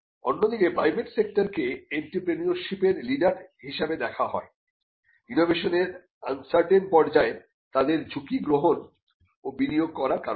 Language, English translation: Bengali, Whereas, the private sector is seen as a leader in entrepreneurship, because of their taking risk and investing in technologies, when they are at an uncertain stage of innovation